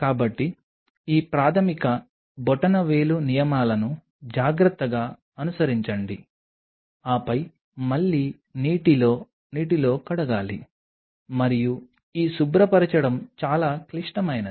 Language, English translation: Telugu, So, just be careful follow these basic thumb rules, then again wash it in water in running water and this cleaning is very critical